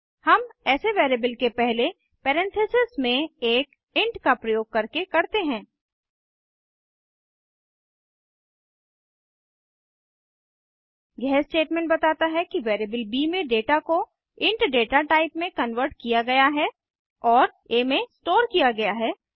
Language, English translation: Hindi, We do that by using an int in parentheses, before the variable This statement says the data in the variable b has to be converted to int data type and stored in a